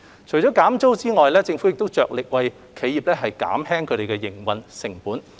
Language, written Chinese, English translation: Cantonese, 除減租外，政府亦着力為企業減輕營運成本。, Apart from rental concessions the Government has also strived to lower operating costs for enterprises